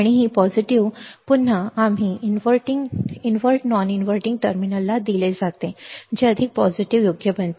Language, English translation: Marathi, And this positive will again; we fed to the invert non inverting terminal making it more positive right